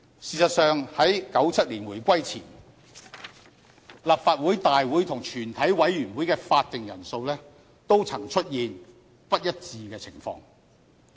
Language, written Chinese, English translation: Cantonese, 事實上，在1997年回歸前，立法局大會和全體委員會的法定人數也曾出現不一致的情況。, In fact there was a time before the reunification in 1997 when different numbers of Members were adopted as the quorum for Council meetings and for the meetings of the Committee of the whole Council